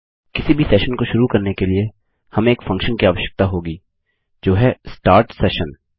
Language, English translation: Hindi, To start any session, we will need a function which is start session